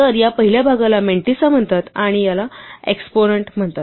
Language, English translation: Marathi, So, this first part is called the mantissa right and this is called the exponent